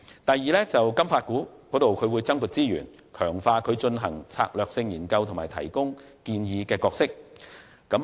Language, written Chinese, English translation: Cantonese, 第二，向金發局增撥資源，強化其進行策略性研究和提供建議的角色。, Second more resources will be allocated to FSDC to enhance its role in conducting strategic research and formulating recommendations